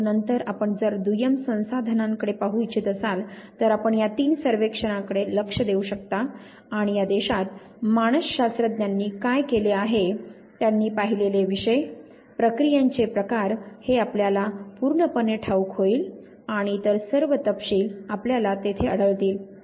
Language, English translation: Marathi, But then if you want to look at second resources you cannot look at these three surveys and you would exclusively come to know what psychologist have done in this country, the topics that have looked at the type of processes and all other details you will find there